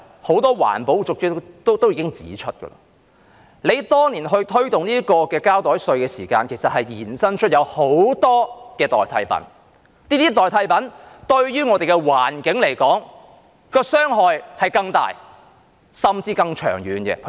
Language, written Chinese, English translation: Cantonese, 很多環保人士已經指出，政府當年推動膠袋稅時，其實衍生了很多代替品，這些代替品對於我們的環境傷害更大，甚至更長遠。, Why? . As many environmentalists have already pointed out the promotion of the plastic bag levy by the Government back then actually gave rise to a myriad of substitutes which can do even greater and longer - term harm to our environment